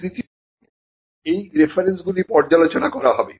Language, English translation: Bengali, Now the third step involves reviewing these references